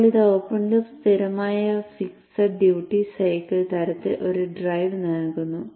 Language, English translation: Malayalam, Now this used to give a open loop constant fixed duty cycle kind of a drive